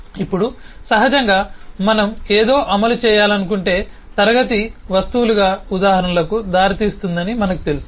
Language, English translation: Telugu, now, naturally, if we want to implement something, we have known that eh, the class will give rise to instances as objects